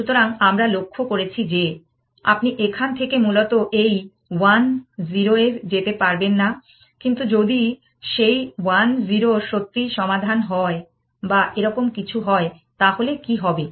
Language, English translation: Bengali, So, we just observe that, you cannot move to this 1 0 from here essentially, what if that 1 0 really happen to be the solution or something like that